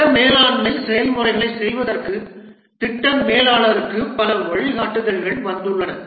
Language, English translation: Tamil, There are several guidelines which have come up for the project manager to carry out the project management processes